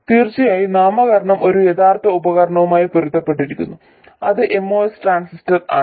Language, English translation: Malayalam, Of course, the naming corresponds to a real device which is the MOS transistor